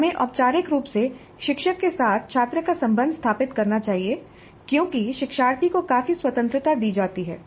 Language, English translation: Hindi, We must formally establish the relationship of the student to the instructor because there is considerable freedom given to the learner